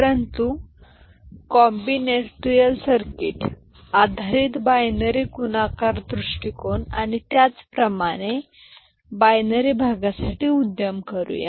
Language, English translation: Marathi, But let us venture into combinatorial circuit based binary multiplication approach and similarly for binary division in this particular class